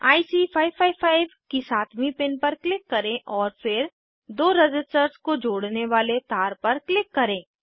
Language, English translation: Hindi, Click on the 7th pin of IC 555 and then on the wire connecting the two resistors